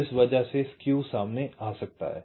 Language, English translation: Hindi, so because of that skews might be introduced